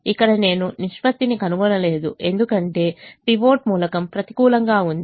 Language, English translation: Telugu, here i don't find the ratio because the pivot element is negative